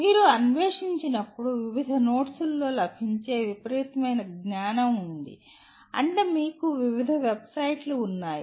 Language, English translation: Telugu, When you explore, there is a tremendous amount of knowledge that is available in various notes that means various websites that you will have